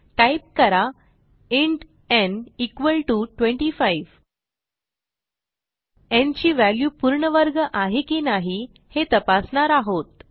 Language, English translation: Marathi, ThenType int n = 25 We shall see if the value in n is a perfect square or not